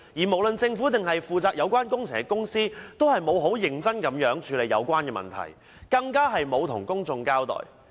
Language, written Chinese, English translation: Cantonese, 無論是政府或負責有關工程的公司，均沒有認真處理有關問題，更沒有向公眾交代。, Neither the Government nor the companies in charge of the construction works have taken the problems seriously or given a clear account to the public